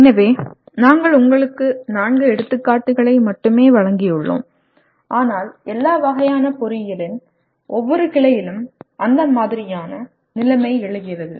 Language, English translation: Tamil, So we have given you only four examples but that kind of situation arise in every branch of engineering at all levels